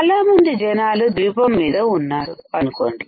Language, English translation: Telugu, Suppose there are a lot of people on this island